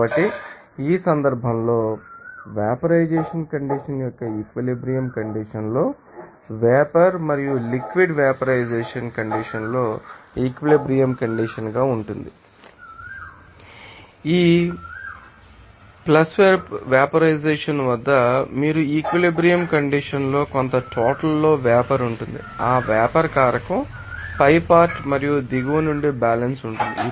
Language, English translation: Telugu, So, in this case at equilibrium condition of that you know vaporization condition, you will see that vapor and liquid will be in you know that equilibrium condition at this vaporization condition and at this plus vaporization you will see that at equilibrium condition, some amount of you know vapor will be there from the top of that vaporizer and from the bottom there will be equilibrium